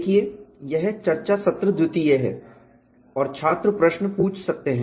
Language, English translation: Hindi, See, this is the discussion session two and students can ask the questions